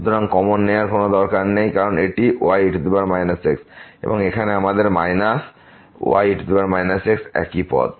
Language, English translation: Bengali, So, no need to take common because this is power minus and here we have minus power minus is the same term